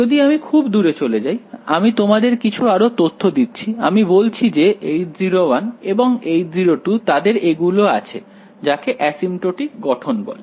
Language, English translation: Bengali, If I go far away, I am giving you some extra information I am telling you that H naught 1 and H naught 2, they have these what are called asymptotic forms